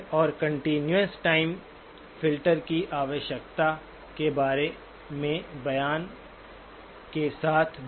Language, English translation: Hindi, And also with the statement about the requirement of the continuous time filter